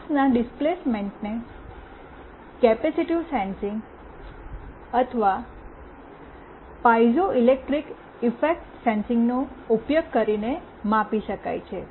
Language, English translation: Gujarati, The displacement of the mass can be measured using capacitive sensing or piezoelectric effect sensing